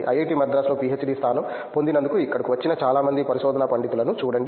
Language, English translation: Telugu, See if most of the research scholar we come here as we got PhD position in IIT Madras